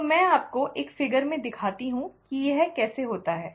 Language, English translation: Hindi, So, let me show you in one figure exactly how it happens